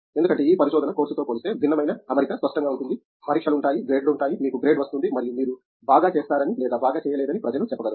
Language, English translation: Telugu, Because, this research is such a different setting than say course work where it is very clear, there is an exam, there is grade, you get the grade and people say you did well or did not do well